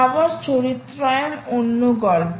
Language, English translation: Bengali, power characterization is another story